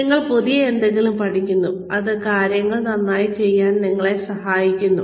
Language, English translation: Malayalam, You learn something new, and it helps you do things better